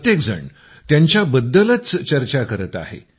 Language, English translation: Marathi, Everyone is talking about them